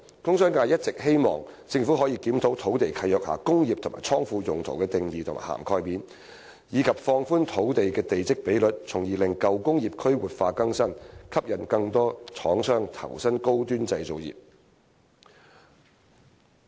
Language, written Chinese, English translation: Cantonese, 工商界一直希望政府可以檢討土地契約下"工業"及"倉庫"用途的定義和涵蓋面，以及放寬土地地積比率，從而使舊工業區活化更新，吸引更多廠商投身高端製造業。, The industrial and commercial sectors have always hoped that the Government can review the definition and coverage of industrial and godown uses in land leases and relax the plot ratio of sites so as to revitalize old industrial districts and attract more manufacturers to high - end manufacturing industries